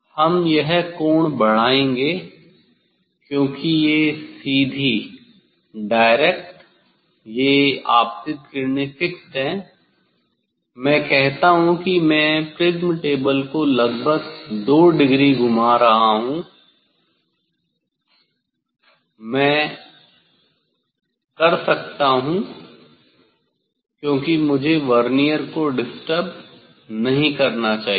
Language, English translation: Hindi, this angle we will increase because this direct this incident rays is fixed; I am rotating the prism table by approximately 2 degree say that I can do because I should not disturb the disturb the Vernier